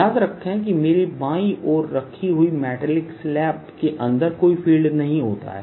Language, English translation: Hindi, remember if i had a metallic slab on the left, there will be no field inside